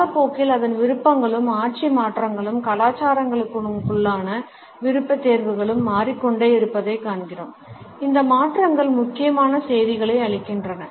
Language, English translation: Tamil, Its preferences and regime change over time through the passage of time we find that the preferences within cultures keep on changing and these changes imparts important messages